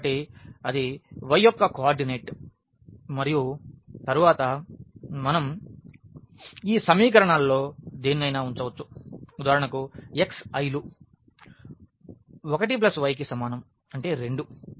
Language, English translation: Telugu, So, that is the coordinate of y and then we can put in any of these equations to get for example, x is equal to 1 plus y ; that means, 2